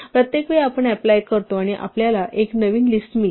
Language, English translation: Marathi, Each time we apply plus we actually get a new list